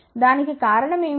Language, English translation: Telugu, What is the reason for that